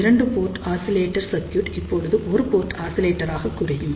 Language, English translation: Tamil, So, two port oscillator circuits, now reduces to single port oscillator